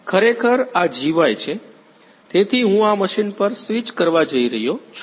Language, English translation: Gujarati, Actually this is the GY ; so I am going to switch on the machine